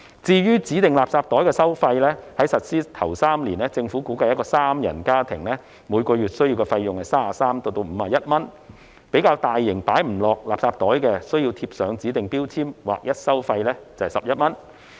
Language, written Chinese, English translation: Cantonese, 至於指定垃圾袋的收費，在實施首3年，政府估計一個三人家庭每月所需的費用介乎33元至51元，較大型而無法放入指定垃圾袋的垃圾，則需要貼上指定標籤，劃一收費11元。, Regarding the charge for these designated garbage bags the Government estimates that during the first three years of implementation a three - member household will have to pay a charge of 33 to 51 per month . For oversized waste that cannot be put into a designated garbage bag such waste is required to be affixed with a designated label and a uniform rate of 11 per piece will be charged